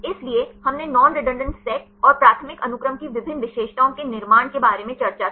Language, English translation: Hindi, So, we discussed about the construction of non redundant sets and various features of the primary sequence